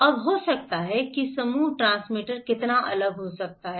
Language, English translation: Hindi, Now, how different maybe a Group transmitter can interpret that one